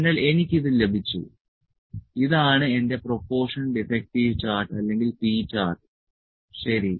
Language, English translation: Malayalam, So, I have got this; this is my proportion defective chart or P chart, ok